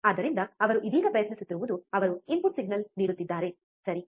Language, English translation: Kannada, So, what he is right now trying is, he is giving a input signal, right